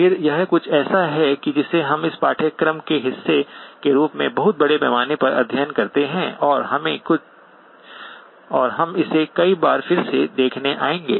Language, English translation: Hindi, Again, this is something that we study very extensively as part of this course and we will come back to revisit it multiple times